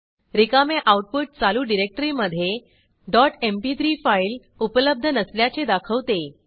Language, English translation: Marathi, Blank output indicates dot mp3 file is not present in current directory